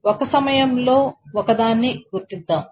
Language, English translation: Telugu, So let us identify one at a time